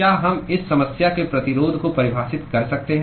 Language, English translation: Hindi, Can we define resistance for this problem